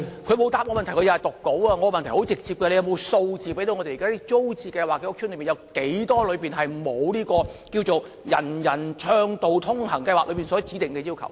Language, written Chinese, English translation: Cantonese, 我的問題很直接，局長可否提供數字，指出有多少租置屋邨現時未能符合"人人暢道通行"計劃所指定的要求？, My question is very direct Will the Secretary provide the data concerning the number of TPS estates that do not meet the requirements of the UA Programme?